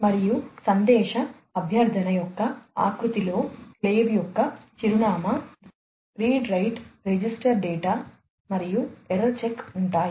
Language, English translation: Telugu, And, the format of a message request contains the address of the slave, the read write register the data and the error check